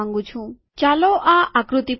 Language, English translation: Gujarati, So lets go to this figure